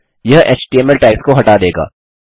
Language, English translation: Hindi, This will strip HTML tags